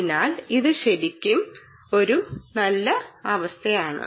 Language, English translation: Malayalam, so it really is a nice ecosystem building up